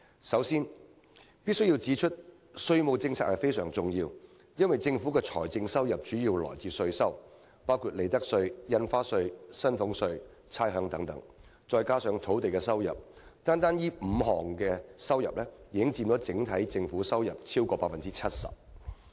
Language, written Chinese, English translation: Cantonese, 首先，我必須指出，稅務政策非常重要，因為政府財政收入主要來自稅收，包括利得稅、印花稅、薪俸稅和差餉等，再加上土地收入，單單這5項已經佔整體政府收入超過 70%。, First of all I must point out the critical importance of our tax policy because taxation is the major source of government revenue . Five revenue items―including the tax items of profits tax stamp duties salaries tax and rates as well as land premium―account for over 70 % of the Governments total revenue